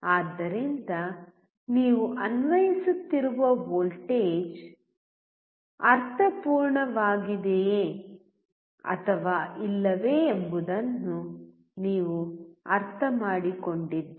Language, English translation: Kannada, So, you understand whether the voltage that you are applying make sense or not